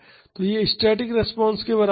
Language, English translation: Hindi, So, that is equal to the static response